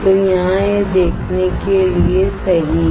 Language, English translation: Hindi, So, here this one is to view right